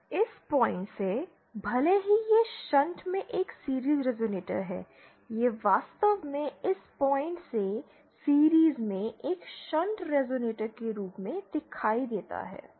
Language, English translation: Hindi, From this point, even though this is a series resonator in shunt, it actually appears as a shunt resonator in series from this point